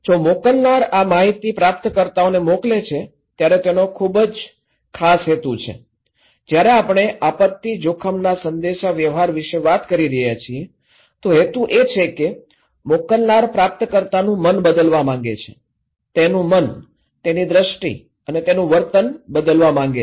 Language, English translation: Gujarati, If the sender is sending these informations to the receiver, he has a very particular motive when we are talking about disaster risk communication, the motive is the sender wants to change the mind of receiver okay, change his mind, changed perception and changed behaviour